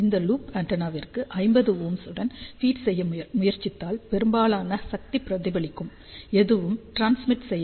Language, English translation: Tamil, If you try to feed this loop antenna with 50 ohm, most of the power will get reflected back and nothing will transmit